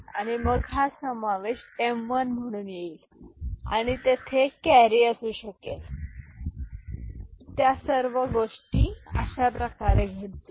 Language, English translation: Marathi, And then this addition will come as m1 and there may be a carry and all those things will be happening